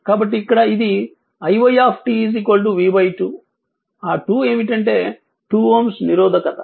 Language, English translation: Telugu, So, here it is i y time t v by 2 that 2 is the 2 ohm resistance right